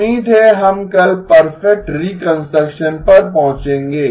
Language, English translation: Hindi, Hopefully, we will reach perfect reconstruction tomorrow